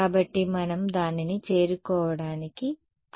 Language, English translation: Telugu, So, we are that is what we are trying to arrive at